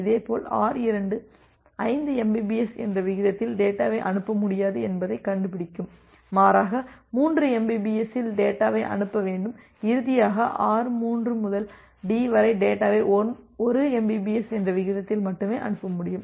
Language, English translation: Tamil, Similarly R2 it finds out that it will not be able to send data at a rate of 5 mbps; rather it need to sends the data at 3 mbps and finally, from R3 to D it can only send the data at a rate of 1 mbps